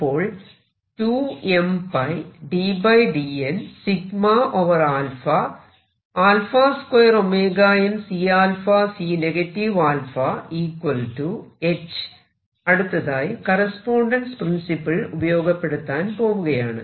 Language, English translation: Malayalam, Now I am going to make use of the correspondence principle